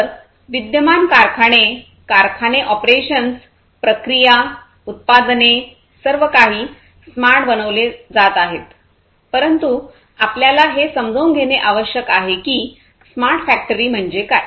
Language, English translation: Marathi, So, existing factory, factory operation, their operations, processes, products everything being made smarter, but then we need to understand that what smart factory is all about